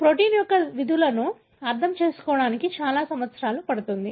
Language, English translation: Telugu, It takes many many years to understand the functions of the protein